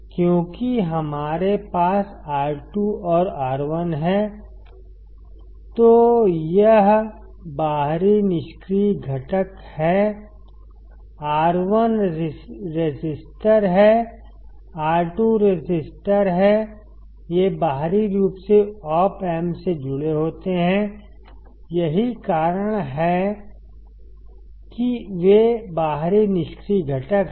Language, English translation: Hindi, Because we have R2 and R1; so, this is external passive component, R1 is resistor, R 2 is resistor; these are externally connected to the Op amp that is why they are external passive components